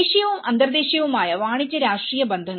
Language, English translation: Malayalam, Commercial and political contacts at both national and international